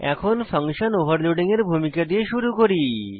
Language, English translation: Bengali, 4.6.1 Let us start with an introduction to function overloading